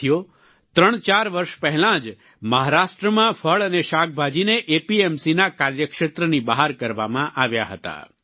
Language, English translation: Gujarati, Friends, about three or four years ago fruits and vegetables were excluded from the purview of APMC in Maharashtra